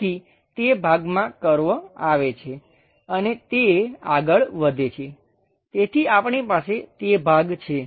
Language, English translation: Gujarati, So, that portion comes curve and goes all the way up; so, we have that portion